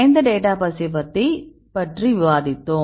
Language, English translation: Tamil, Which database we discussed